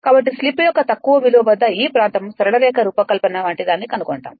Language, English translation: Telugu, So, at the low value of slip you will see this region you will find something like a a straight line design right